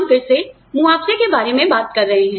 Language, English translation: Hindi, Again, we are talking about compensation